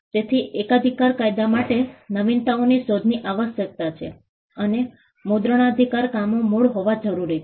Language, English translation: Gujarati, So, patent law requires inventions to be novel and copyright requires works to be original